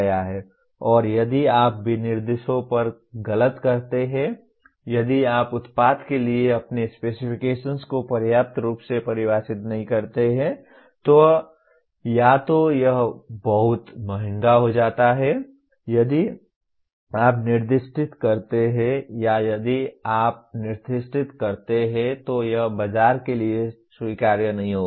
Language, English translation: Hindi, And if you err on the specifications, if you do not define your specifications adequately for the product, either it becomes too expensive if you over specify or if you under specify it will not be acceptable to the market